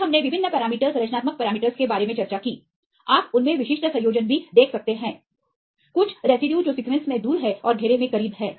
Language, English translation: Hindi, Then we discussed about the different parameter structural parameters right you can see even they are specific combination, some residues which are far away the sequence they are also close in space